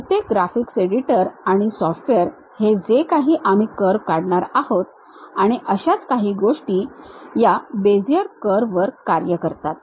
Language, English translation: Marathi, Most of the graphics editors, the softwares whatever we are going to really draw the curves and render the things works on these Bezier curves